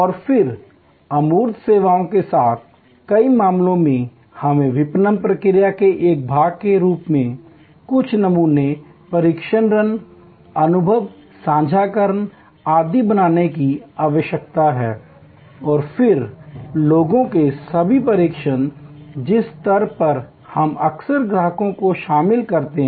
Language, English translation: Hindi, And then in many cases with the services intangible, we need to create some sampling test runs, experience sharing, etc as a part of the marketing process and then, all the training of people at which stage we often involve customers